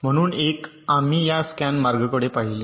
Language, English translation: Marathi, so one method we looked at, namely this scan path